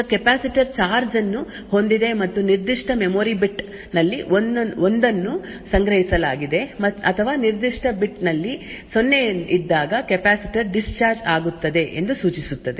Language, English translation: Kannada, Now the capacitor holds charge and to indicate that a 1 is stored in that particular memory bit or a capacitor discharges when a 0 is present in that particular bit